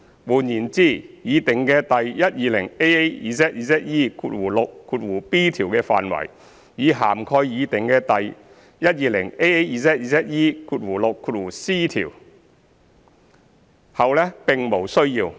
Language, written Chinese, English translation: Cantonese, 換言之，擬訂的第 120AAZZE6b 條的範圍已涵蓋擬訂的第 120AAZZE6c 條，後者並無需要。, 200 . In other words the scope of the proposed section 120AAZZE6b already covers the proposed section 120AAZZE6c making the latter redundant